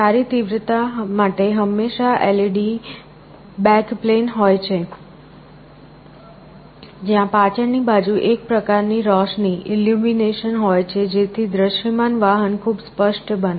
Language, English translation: Gujarati, Also for good intensity there is often a LED backplane, where there is a some kind of illumination in the back side so that the display vehicle becomes very clear